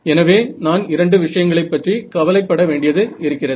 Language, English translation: Tamil, So, there are two things that I have to worry about alright